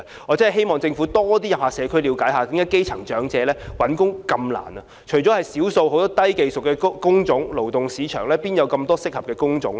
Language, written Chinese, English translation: Cantonese, 我真的希望政府多到社區了解基層長者找工作的困難，除了少數低技術工種外，勞動市場何來這麼多適合長者的工種呢？, I really hope the Government will visit the community more often to look into the difficulties of grass - roots elderly people in seeking employment . Apart from a few types of low - skilled jobs how will there be so many types of jobs suitable for the elderly in the labour market?